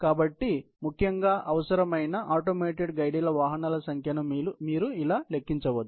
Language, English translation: Telugu, So, this is basically, how you calculate the number of automated guided vehicles which are needed